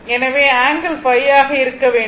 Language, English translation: Tamil, So, angle should be phi